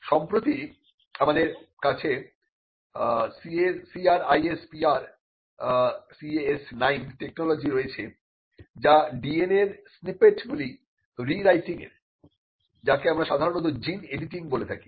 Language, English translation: Bengali, Now, recently we have the CRISPR Cas9 technology, which was it technology used for rewriting snippets of DNA and what we commonly called gene editing